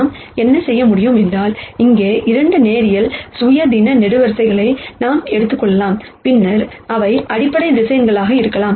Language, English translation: Tamil, What we can do is, we can pick any 2 linearly independent columns here and then those could be the basis vectors